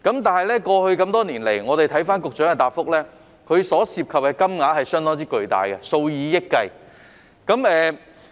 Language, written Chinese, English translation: Cantonese, 但是，過去多年來，一如局長的答覆所述，涉及的金額相當巨大，是數以億元計的。, But over the years as mentioned in the Secretarys reply the amount of money involved is substantial amounting to hundreds of millions of dollars